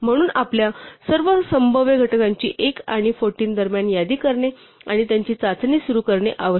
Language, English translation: Marathi, So, we start a listing our all the possible factors between one and 14 and testing them